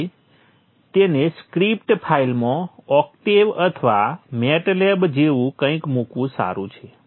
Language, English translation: Gujarati, So it is good to put them in a script file like something like Octave or Matlap